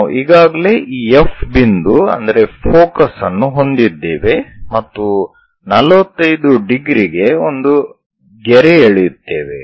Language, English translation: Kannada, We have already this F point focus draw a line at 45 degrees